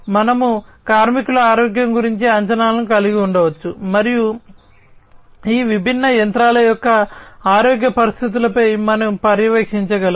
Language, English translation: Telugu, We can have predictions about workers’ health, (workers’ health), and also we can do monitoring of the different the health condition of these different machinery